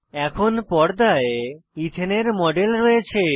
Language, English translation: Bengali, We now have the model of Ethane on the screen